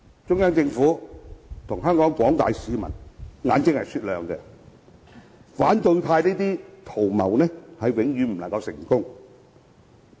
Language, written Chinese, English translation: Cantonese, 中央政府和廣大香港市民的眼睛是雪亮的，反對派這些圖謀永遠不會成功。, The Central Peoples Government and members of the general public have sharp eyes thus the opposition camp is never going to succeed